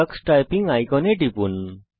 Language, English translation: Bengali, Click the Tux Typing icon